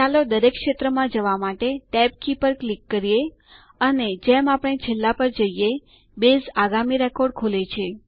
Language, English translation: Gujarati, Let us click on the tab key to go to each field, and as we go to the last, Base opens the next record